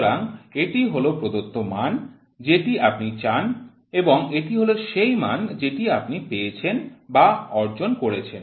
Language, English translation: Bengali, So, this is the reference value what you want and this is the value what you have received or achieved